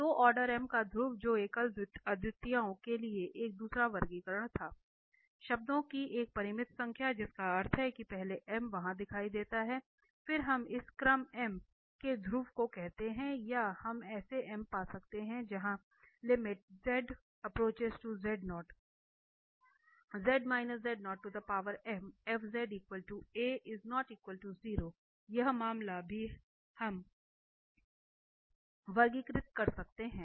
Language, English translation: Hindi, So, the pole of order m that was a second classification for the singularities isolated singularities, so a finite number of terms that is means these m, first m appear there, then we call this pole of order m or we can find such m where this z minus z0 power m fz is a finite number in that case also we can classify, so that is using limit